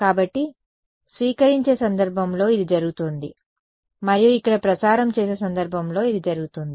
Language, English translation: Telugu, So, this is what is happening in the receiving case and this is in the transmitting case over here